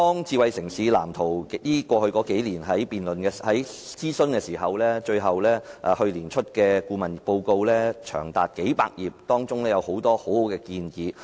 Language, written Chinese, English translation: Cantonese, 智慧城市藍圖經過數年的諮詢，最後於去年公布長達數百頁的顧問報告，當中有很多很好的建議。, After several years of consultation on the Smart City Blueprint a consultancy study report spanning several hundred pages was finally published last year and many excellent recommendations can be found therein